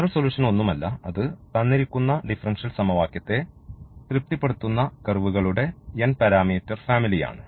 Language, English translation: Malayalam, So, the general solution is nothing, but the n parameter family of curves which satisfies the given differential equation